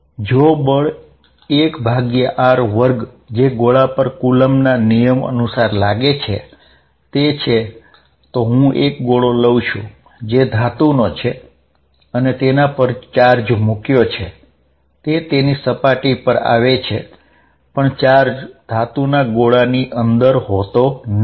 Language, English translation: Gujarati, If a force is 1 over r square dependent which we are assuming coulomb's law is then on a sphere, then if I take a sphere, say metallic sphere and put charges on it all the charges will come to the surface with the result that there will be no charge inside a charged metal sphere